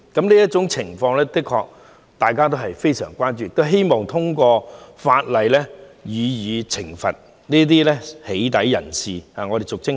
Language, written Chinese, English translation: Cantonese, 這種情況的確引起大家的深切關注，並希望通過法例懲罰進行俗稱"起底"活動的人士，對付這種惡行。, The situation has indeed aroused grave public concern and it is hoped that punitive measures can be imposed under the law on people engaging in doxxing activities thereby combating such malicious acts